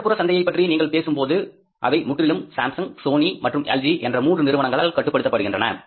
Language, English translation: Tamil, If you talk about the urban markets, they are totally dominated by Samsung, Sony and LG, These three major companies